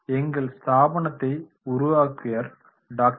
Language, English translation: Tamil, A company was founded by Dr